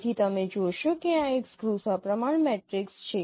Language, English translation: Gujarati, So you see that this is a scheme symmetric matrix